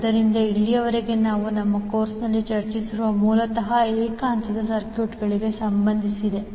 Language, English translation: Kannada, So, till now what we have discussed in our course was basically related to single phase circuits